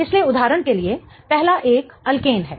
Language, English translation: Hindi, So, for example, the first one is an alkan